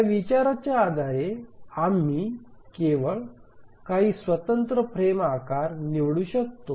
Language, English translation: Marathi, Based on this consideration, we can select only few discrete frame sizes